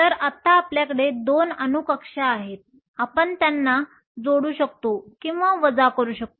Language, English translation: Marathi, So, now we have 2 atomic orbitals; we can either add them or subtract them